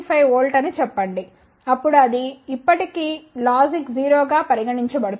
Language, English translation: Telugu, 5 volt then it will still be considered as logic 0